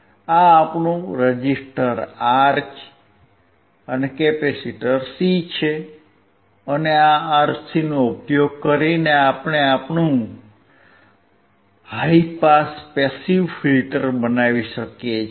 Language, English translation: Gujarati, This is your R and C resistor and capacitor, and using this RC you can form your high pass passive filter